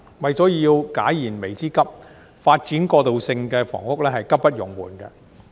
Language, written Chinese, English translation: Cantonese, 為解燃眉之急，發展過渡性房屋是急不容緩的。, In order to address the most urgent needs the development of transitional housing should be undertaken without delay